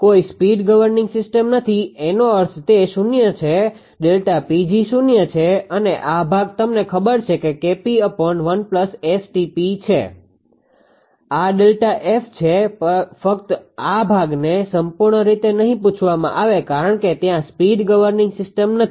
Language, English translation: Gujarati, No no speed governing action means that it is 0 right delta P g is 0 and this part you know K p upon 1 plus S T p this is delta F; only this part it is asked not as a whole all because the speed governing is not there